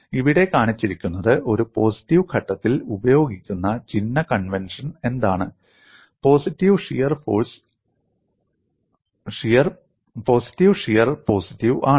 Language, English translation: Malayalam, And what is shown here is what is the sign convention used on a positive phase, positive shear is positive